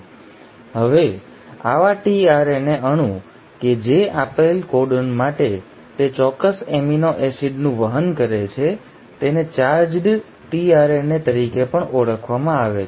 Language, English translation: Gujarati, Now such a tRNA molecule which for a given codon carries that specific amino acid is also called as a charged tRNA